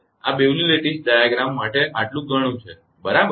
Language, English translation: Gujarati, This much for Bewley’s lattice diagram right